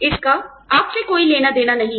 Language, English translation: Hindi, It has nothing to do with you